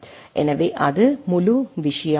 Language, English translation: Tamil, So, that is the whole of the thing